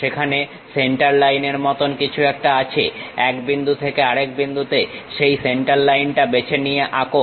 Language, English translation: Bengali, There is something like a Centerline, pick that Centerline draw from one point to other point